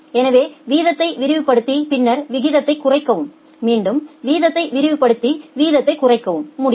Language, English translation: Tamil, So, expand the rate and then reduce the rate, again expand the rate reduce the rate